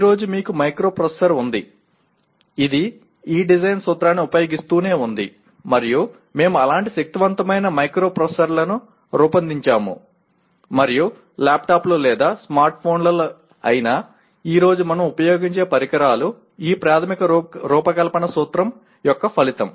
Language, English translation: Telugu, Today, you have a microprocessor which keeps using this design principle, and we have designed such powerful microprocessors and the devices that we use today whether it is laptops or smartphones are the result of this fundamental design principle